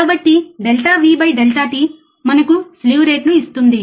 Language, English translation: Telugu, So, delta V by delta t will give us the slew rate